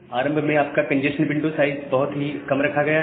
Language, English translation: Hindi, So, initially your congestion window size is kept at a very minimal rate